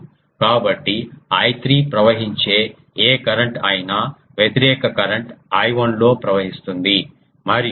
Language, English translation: Telugu, So, that makes that whatever current is flowing I 3, the opposite current is flowing in the I 1 and